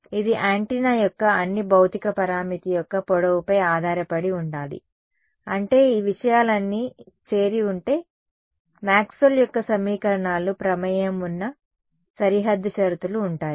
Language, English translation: Telugu, It should depend, for example, on the length of the antenna all of the physical parameter of it; that means, if all of these things are involved, Maxwell’s equations are involved boundary conditions are involved